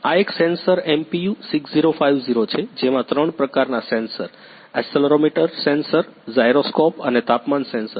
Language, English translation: Gujarati, This is a one sensor MPU 6050 which contain three type of sensor; accelerometer sensor, gyroscope and temperature sensor